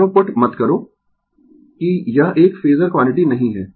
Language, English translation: Hindi, Do not put arrow, that this is not a phasor quantity